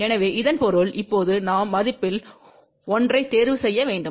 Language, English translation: Tamil, So that means, now we have to choose one of the value